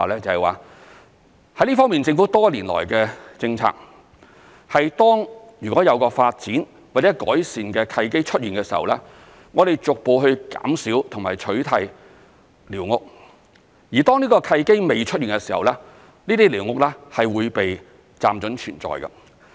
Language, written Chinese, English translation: Cantonese, 在這方面，政府多年來的政策是，當如果有發展或改善的契機出現的時候，我們會逐步減少和取締寮屋；而當這個契機未出現的時候，這些寮屋是會被"暫准存在"。, The policy of the Government over the years has been that we will gradually reduce and replace squatters when there is an opportunity for development or environmental improvement . Before such an opportunity arises these squatters will be tolerated on a temporary basis